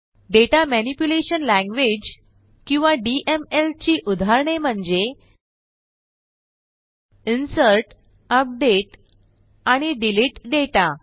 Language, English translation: Marathi, Examples of Data Manipulation Language, or simply DML are: INSERT, UPDATE and DELETE data